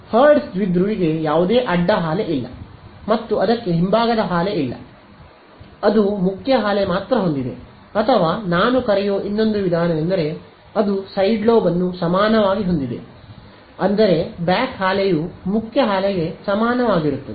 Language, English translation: Kannada, So, the hertz dipole has no side lobe and it has no back lobe, it only has a main lobe or you can say I mean or another way of calling it is that, it has a side lobe equal, I mean a back lobe equal to the main lobe whichever way we want to think about it ok